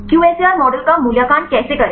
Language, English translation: Hindi, How to evaluate the QSAR model